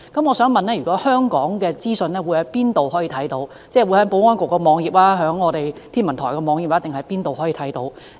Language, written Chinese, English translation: Cantonese, 我想問香港可以在哪裏看到這些資訊，即在保安局網頁、天文台網頁，還是哪裏可以看到？, May I ask whether we have access to such information in Hong Kong? . Can we do so through the web pages of the Security Bureau or the Hong Kong Observatory or anywhere else?